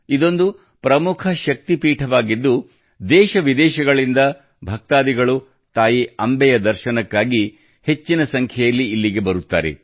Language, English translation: Kannada, This is an important Shakti Peeth, where a large number of devotees from India and abroad arrive to have a Darshan of Ma Ambe